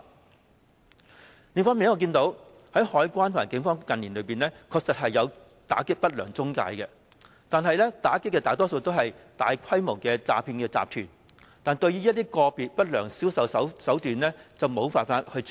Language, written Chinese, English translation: Cantonese, 另一方面，我也看到海關和警方近年確實有打擊不良中介公司，但打擊的大多是大規模的詐騙集團，對於個別的不良銷售手段則無法處理。, On the other hand I can see that the Customs and Excise Department and the Police have indeed taken actions against unscrupulous intermediaries in recent years . However they mostly targeted actions at large - scale fraud syndicates and could not tackle individual unscrupulous sales practices